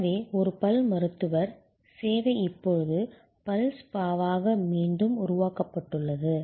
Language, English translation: Tamil, So, a dentist service is now recreated by the way as a dental spa